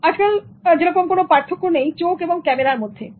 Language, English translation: Bengali, Today, there is no distinction between the eye and the camera